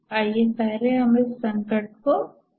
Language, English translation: Hindi, Let's first get to understand the crisis